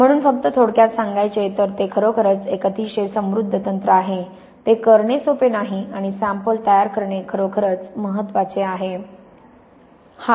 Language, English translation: Marathi, So just to summarize it is really a very rich technique, it is not easy to do and specimen preparation is really the key